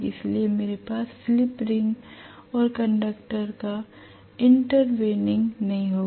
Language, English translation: Hindi, So I will not have the intertwining of the slip ring and the conductor